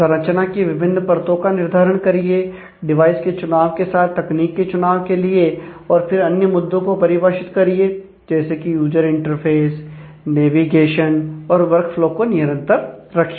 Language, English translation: Hindi, Decide on the layers in the architecture, select the technology based on the device choice and the other factors define the user interface, navigation and maintain the work flow